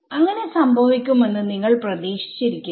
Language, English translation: Malayalam, That is I mean you would not have expected that to happen